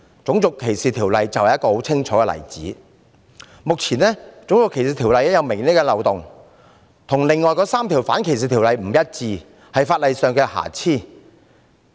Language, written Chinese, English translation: Cantonese, 《種族歧視條例》便是一個很清楚的例子，目前，《種族歧視條例》有明顯的漏洞，條文跟另外3項反歧視條例不一致，是法例上的瑕疵。, RDO is a very clear example . At present there are obvious loopholes in RDO . The inconsistency of the provisions of RDO with those of the other anti - discrimination ordinances is a blemish in the ordinance